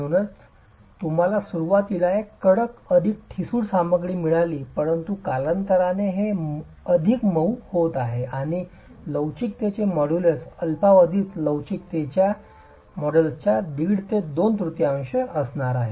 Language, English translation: Marathi, So, you've got a stiffer, more brittle material initially but over time it's becoming softer and the modulus of elasticity is going to be about one half to two thirds of the modulus of elasticity for the short term itself